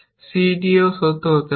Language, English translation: Bengali, On a b is also true